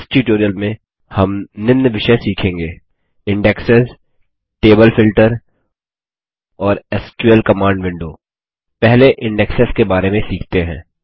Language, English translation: Hindi, In this tutorial, we will learn the following topics: Indexes Table Filter And the SQL Command window Let us first learn about Indexes